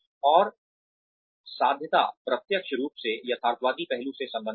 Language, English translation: Hindi, And, achievability is, directly related to, the realistic aspect